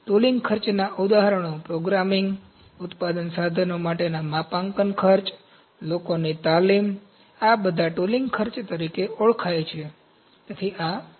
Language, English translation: Gujarati, Examples of tooling costs are programming, calibration costs for manufacturing equipment, training of the people, these are all known as tooling costs